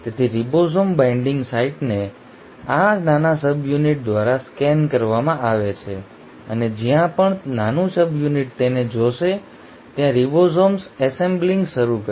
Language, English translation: Gujarati, So the ribosome binding site is kind of scanned by this small subunit and wherever the small subunit will see this, the ribosomes will start assembling